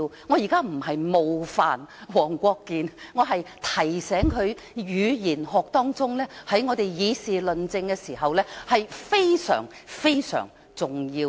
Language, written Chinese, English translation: Cantonese, 我現在不是冒犯黃國健議員，我是提醒他，語言學在我們議事論政時非常重要。, I do not mean to offend Mr WONG Kwok - kin . I just want to remind him that linguistics is very important in our debates on public affairs and policies